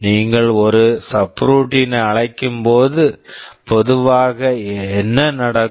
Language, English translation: Tamil, When you call a subroutine normally what happens